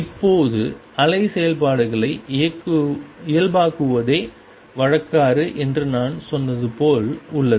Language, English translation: Tamil, Now, it is as I said convention is to normalize the wave functions